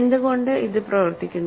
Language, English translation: Malayalam, Why does it work